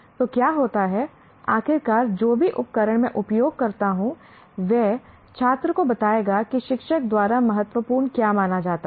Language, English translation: Hindi, So what happens is, the finally whatever the tools that I use will tell the student what is considered important by the teacher